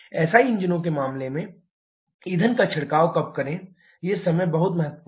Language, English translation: Hindi, When to spray the fuel in case of CI engines these are timings are very important